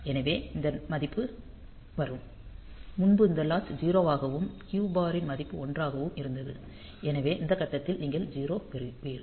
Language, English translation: Tamil, So, this value will be coming to; so, the previously this latch was value as 0 and Q bar value was 1; so, you will be getting a 0 at this point